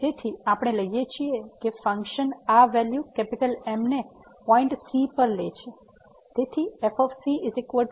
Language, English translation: Gujarati, So, we take that the function is taking this value at a point